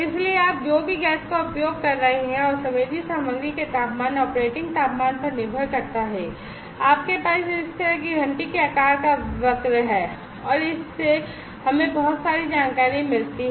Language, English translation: Hindi, So, depending on the concentration of the gas whatever you are using, and the temperature operating temperature of the sensing material, you have this kind of bell shaped curve and this also gives us lot of information